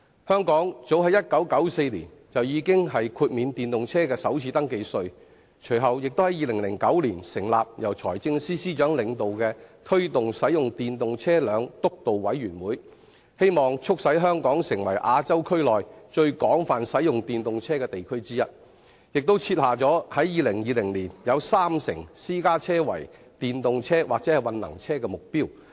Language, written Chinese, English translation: Cantonese, 香港早於1994年已豁免電動車的首次登記稅，更在2009年成立由財政司司長領導的推動使用電動車輛督導委員會，希望促使香港成為亞洲區內最廣泛使用電動車的地區之一，並設下在2020年有三成私家車為電動車或混能車的目標。, As early as 1994 the First Registration Tax FRT for EVs was already waived in Hong Kong . The Steering Committee on the Promotion of Electric Vehicles chaired by the Financial Secretary was subsequently established in 2009 with the objective of making Hong Kong one of the places in Asia that sees the most extensive use of EVs . The Committee also set down the target of attaining a rate of 30 % for EVs and hybrid vehicles in the total number of private cars by 2020